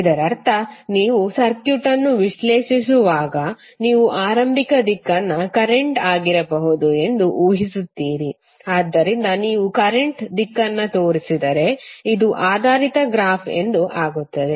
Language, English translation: Kannada, That means that you when you analysis the circuit you imagine a the initial direction of may be the current, so then if you show the direction of the current then this will become a oriented graph